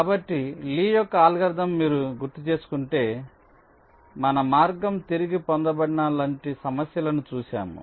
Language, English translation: Telugu, so, lees algorithm: if you recall, we looked at a problem like this where our path was retraced